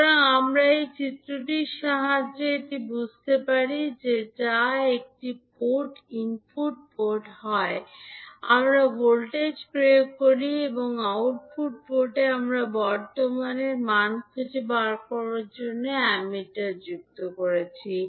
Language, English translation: Bengali, So, we can understand this with the help of this figure in which at one port that is input port we are applying the voltage and at the output port we are adding the Ammeter to find out the value of current